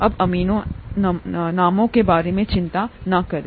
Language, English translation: Hindi, DonÕt worry about the names now